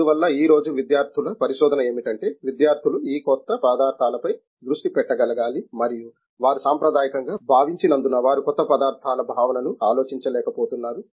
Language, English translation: Telugu, Therefore, what today is the student research, students should be able to focus on these new materials and since they have been conventionally thought they are not able to think the new materials sense